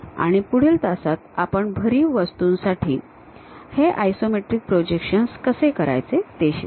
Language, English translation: Marathi, And, in the next class, we will learn about how to do these isometric projections for solid objects